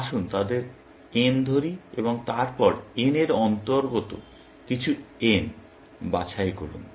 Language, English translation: Bengali, Let us call them N and then, pick some n belonging to N